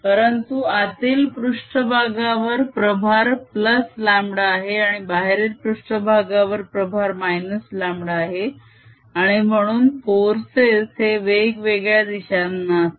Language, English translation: Marathi, however, the inner surface has charge plus lambda, the outer surface has charge minus lambda and therefore the forces are going to be in different directions